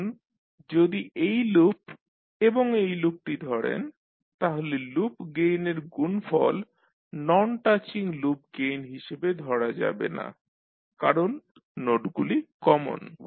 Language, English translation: Bengali, Now the product of loop gains like if you take this loop and this loop, this cannot be considered as a non touching loop gains because the nodes are common